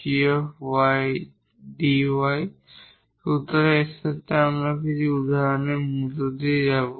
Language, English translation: Bengali, So, with this we will now go through some of the examples